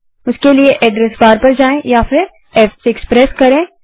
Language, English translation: Hindi, For that go to address bar or press F6